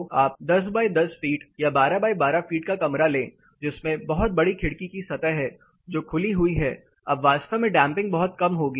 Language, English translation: Hindi, So, you take a room at 10 foot by 10 foot or 12 foot by 12 foot room which has very large window surface which is open, then the damping is going to be really low